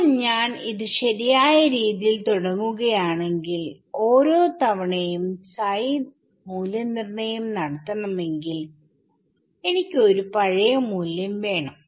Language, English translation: Malayalam, Now, if I initialize this psi n psi properly, then every time I want to evaluate psi, I just need one past value